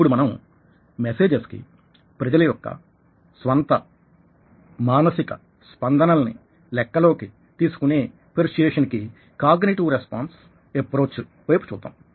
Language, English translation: Telugu, now we can look at the cognitive response approach to persuasion, where peoples own mental reactions to the messages taken into account here